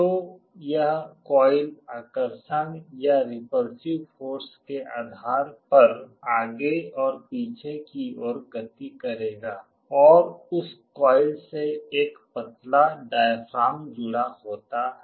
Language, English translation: Hindi, So, this coil will be moving forward and backward depending on the attractive or repulsive force and there is a thin diaphragm connected to that coil